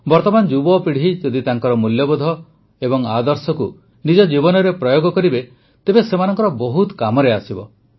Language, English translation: Odia, If the youth of today inculcate values and ideals into their lives, it can be of great benefit to them